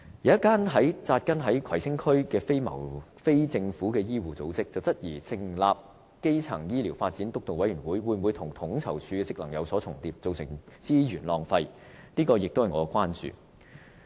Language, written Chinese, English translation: Cantonese, 有一間扎根於葵青區的非政府醫護組織質疑，成立基層醫療發展督導委員會，會否跟統籌處的職能有所重疊，造成資源浪費，這也是我的關注。, A non - governmental medical organizations which has taken root in Kwai Tsing District questioned if the setting up of the Steering Committee on Primary Healthcare Development will overlap the PCOs scope of duties and thereby wasting the resources . This is also something I concerned very much